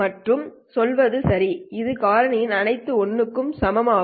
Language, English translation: Tamil, These are all these factors are all equal to 1